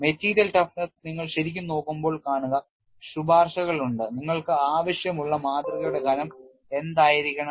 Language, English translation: Malayalam, Say when you are really looking at material toughness, there are recommendations what should be the thickness of the specimen that you want